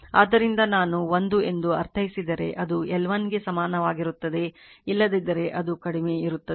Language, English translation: Kannada, So, if l I mean it will be equal only when L 1 is equal to L 2 otherwise it is less than right